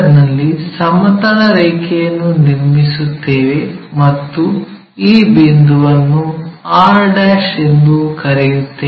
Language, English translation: Kannada, So, at 50 mm draw a horizontal line and let us call this point as r'